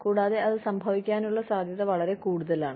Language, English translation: Malayalam, And, the chances of that, happening are much higher